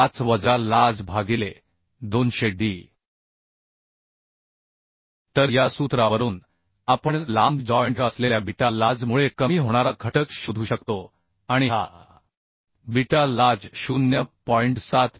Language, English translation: Marathi, 075 minus lj by 200d So from this formula we can find out the reduction factor due to long joint beta lj and this beta lj should not be less than 0